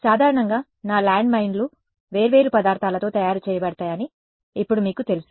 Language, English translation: Telugu, Now you know typically these landmines are made out of different material right